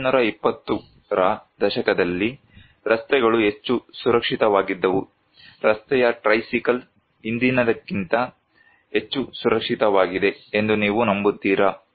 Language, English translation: Kannada, Do you believe in 1920’s, the roads were more safer than today, tricycle on road was much safer than today